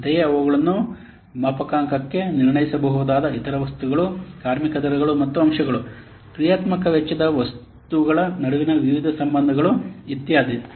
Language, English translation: Kannada, Similarly, the other items they can be calibrated are labor rates and factors, various relationships between the functional cost items, etc